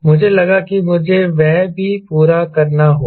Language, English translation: Hindi, ok, i thought i must complete that also